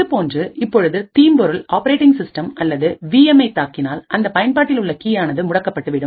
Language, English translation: Tamil, Similarly, if a malware now attacks the operating system or the VM then the key which is present in the application can be compromised